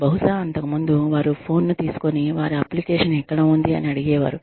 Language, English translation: Telugu, Maybe earlier, they would just pick up the phone and ask, where their application is